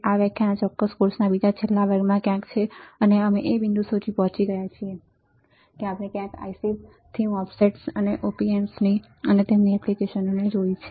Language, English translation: Gujarati, This lecture is somewhere in the second last lecture of this particular course and we have reached to the point that we have seen somewhere from ICS to MOSFETS followed by the op amps and their application